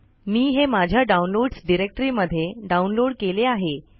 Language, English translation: Marathi, I have downloaded it in my downloads directory